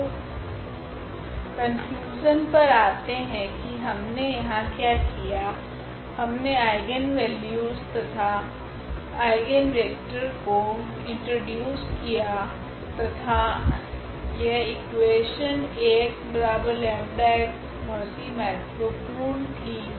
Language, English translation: Hindi, So, coming to the conclusion what we have done here, we have studied, we have introduced the eigenvalues and eigenvector and basically this equation was very important this Ax is equal to lambda x